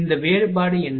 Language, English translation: Tamil, What these difference is